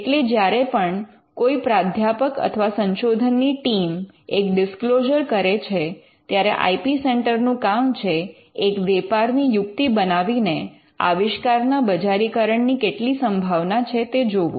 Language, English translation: Gujarati, So, whenever a professor or a research team makes a disclosure it is the job of the IP centre to make a business plan and to evaluate the commercial potential